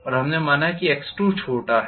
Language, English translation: Hindi, And we considered x2 is smaller